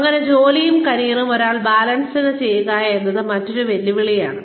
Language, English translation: Malayalam, And, how does, one balance work and career, is another challenge